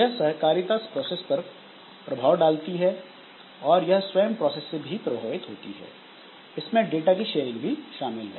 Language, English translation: Hindi, So, this cooperating processes can affect or be affected by other processes including sharing of data